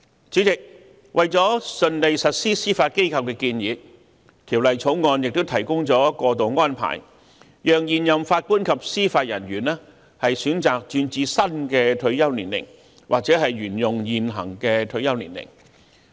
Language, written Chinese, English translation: Cantonese, 主席，為了順利實施司法機構的建議，《條例草案》也提供過渡安排，讓現任法官及司法人員選擇轉至新的退休年齡或沿用現行退休年齡。, President in order to facilitate a smooth implementation of the Judiciarys recommendation the Bill also puts in place transitional arrangements to allow serving JJOs to choose whether to transfer to the new retirement ages or to remain under the existing retirement ages